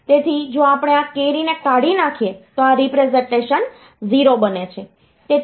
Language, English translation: Gujarati, So, if we discard this carry then it becomes 0